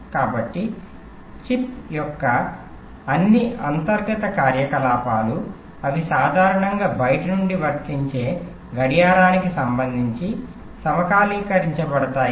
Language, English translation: Telugu, so all the internal activities of the chips, of the chip, they are synchronized with respect to the clock that is applied from outside